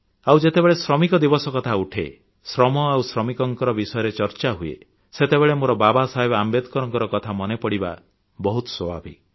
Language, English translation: Odia, And when 'Labour Day' is referred to, labour is discussed, labourers are discussed, it is but natural for me to remember Babasaheb Ambedkar